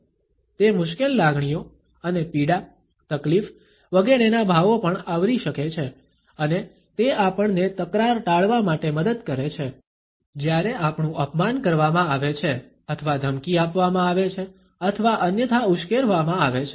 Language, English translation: Gujarati, It may also cover the difficult feelings and emotions of pain, distress, etcetera and also it helps us to avoid conflicts, when we have been insulted or threatened or otherwise provoked